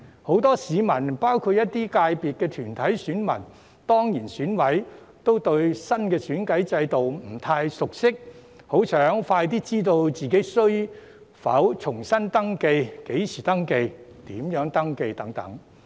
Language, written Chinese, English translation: Cantonese, 很多市民包括一些界別的團體選民、當然選委都對新的選舉制度不太熟悉，很想盡快知道自己需否重新登記、何時登記和如何登記。, Many people including corporate voters of some sectors and ex - officio members of the Election Committee are not quite familiar with the new electoral system . They are eager to know as soon as possible whether they need to register afresh as well as when and how to do so